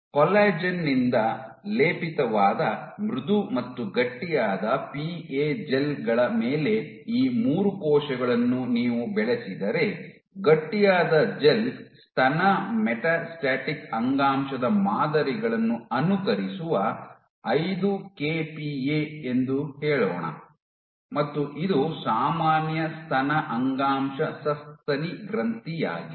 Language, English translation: Kannada, So, the experiment is you culture these 3 cells on soft and stiff PA gels which are coated with collagen the stiff gel you can choose let us say 5 kPa which mimics breast metastatic breast samples breast issue and this one is normal breast issue mammary gland